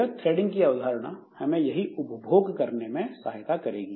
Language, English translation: Hindi, So, this threading concept will help us in doing that exploitation